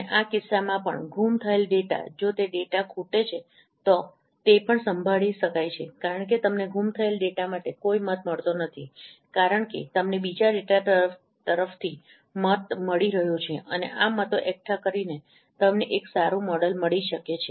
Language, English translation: Gujarati, And also in this case, missing data, if it is missing data is also there, that can be also handled because no, though from the you do not get any vote from the missing data, since you are getting vote from other data and by accumulating these votes, you may get a good model